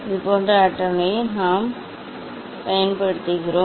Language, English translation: Tamil, this similar table we are going to use